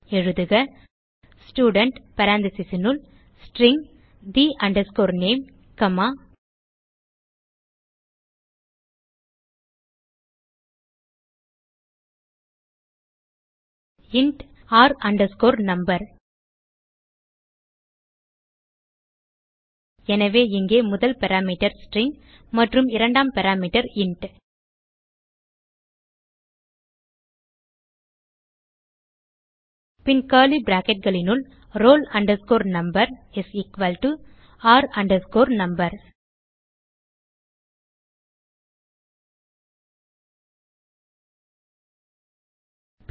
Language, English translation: Tamil, So type Student within parentheses String the name comma int r no So over here first parameter is string and the second parameter is int Then Within curly bracket, roll number is equal to r no